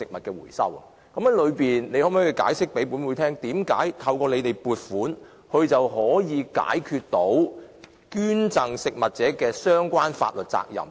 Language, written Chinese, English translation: Cantonese, 局長可否向本會解釋，為甚麼透過政府撥款，捐贈機構便可以解決食物捐贈的相關法律責任？, Can the Secretary explain to this Council why food donors funded by the Government can address the problem of legal liabilities associated with food donation?